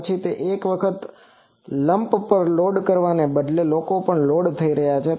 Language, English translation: Gujarati, Then there are instead of loading at the lumped once people have also loaded here